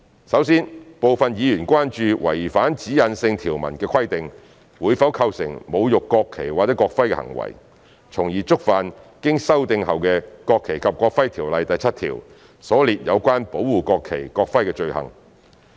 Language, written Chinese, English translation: Cantonese, 首先，部分議員關注違反指引性條文的規定，會否構成侮辱國旗或國徽的行為，從而觸犯修訂後的《條例》第7條所列有關保護國旗、國徽的罪行。, First of all some Members are concerned that if non - compliance with the directional provisions in the Bill would constitute a desecrating act in relation to the national flag and national emblem and hence commit the offence concerning the protection of the national flag and national emblem listed in section 7 of the amended NFNEO